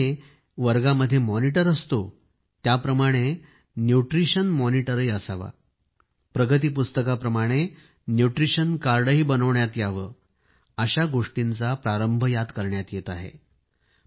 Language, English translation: Marathi, Just like there is a Class Monitor in the section, there should be a Nutrition Monitor in a similar manner and just like a report card, a Nutrition Card should also be introduced